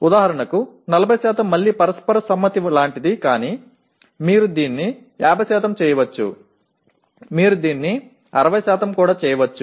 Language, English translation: Telugu, For example 40% is again something like a mutual consent but you can make it 50%, you can make it 60% as well